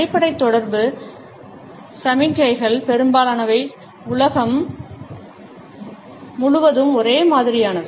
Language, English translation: Tamil, Most of a basic communication signals are the same all over the world